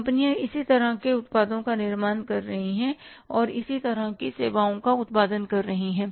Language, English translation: Hindi, Number of companies are manufacturing the similar kind of the products or generating similar kind of services